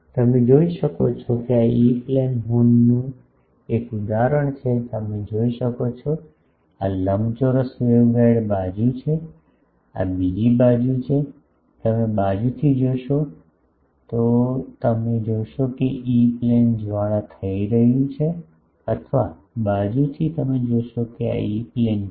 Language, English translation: Gujarati, You can see this is an example of a E plane horn you can see this is the rectangular waveguide side this is the other side, you see from the side if you see that E plane is getting flare or from the side you see that this is the E plane